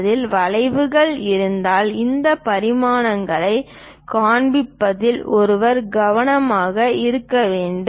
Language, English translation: Tamil, If there are arcs involved in that, one has to be careful in showing these dimensions